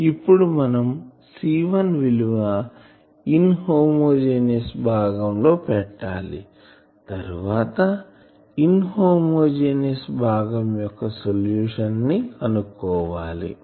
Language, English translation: Telugu, Now, we will have to put the value of C1 from the inhomogeneous part and that will be our thing